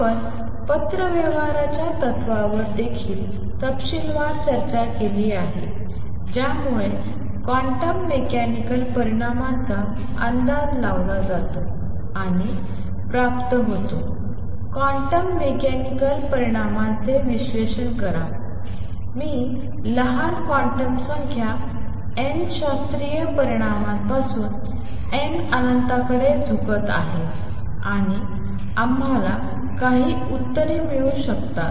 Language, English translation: Marathi, We have also discussed quite in detail the correspondence principle that lead to guessing and deriving quantum mechanical results, analyze a quantum mechanical results I would mean the quantum number n small, from the classical results n tending to infinity and we could get some answers